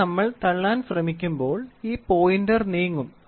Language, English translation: Malayalam, This when it tries to push this will pointer will try to move